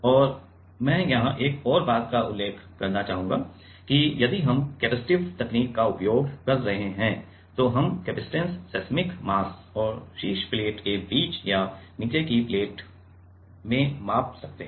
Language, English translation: Hindi, And, another point I would like to mention here is if we are using capacitive technique then we can measure the capacitance between the seismic mass and the top plate or in the at the bottom plate